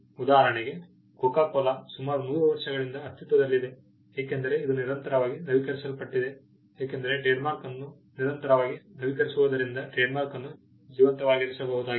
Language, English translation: Kannada, For instance, Coca Cola has been in existence for about 100 years, because it has been constantly it renewed the trademark has been constantly renewed and kept alive